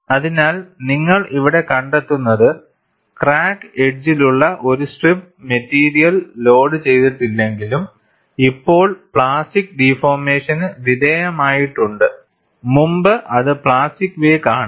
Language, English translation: Malayalam, So, what you find here is, a strip of material along the crack edges, though no longer loaded, but has undergone plastic deformation previously, constitutes the plastic wake